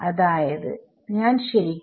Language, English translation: Malayalam, So, we are not